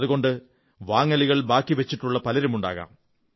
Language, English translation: Malayalam, So there will be many people, who still have their shopping left